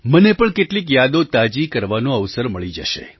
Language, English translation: Gujarati, I too will get an opportunity to refresh a few memories